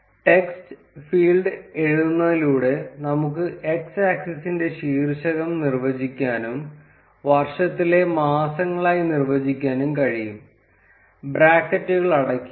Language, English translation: Malayalam, We can define the title of the x axis by writing the text field and we can define it as months of the year, close the brackets